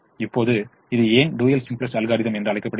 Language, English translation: Tamil, now why is it called dual simplex algorithm